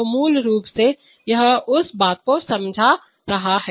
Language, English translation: Hindi, So basically this is explaining that thing